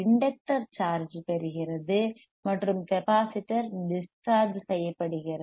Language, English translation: Tamil, Now, the inductor is charged and capacitor is discharged